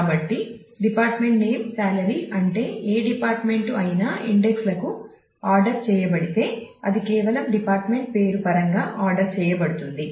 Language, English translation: Telugu, So, department name salary means that either department it is it is ordered to indexes are ordered in terms of just the department name